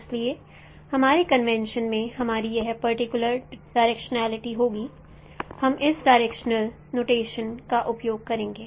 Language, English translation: Hindi, So in our convention we will have this particular directionality, we will be using this no directional notations